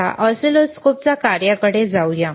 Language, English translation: Marathi, Now, let us go to the function of the oscilloscopes